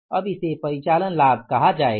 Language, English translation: Hindi, Now this will be called as the operating profit